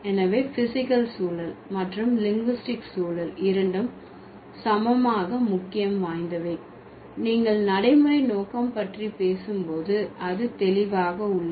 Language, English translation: Tamil, So, the physical context and linguistic context both are equally important when you were talking about scope of pragmatics